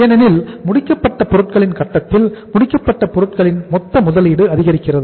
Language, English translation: Tamil, Because the finished goods at the finished goods stage total investment increases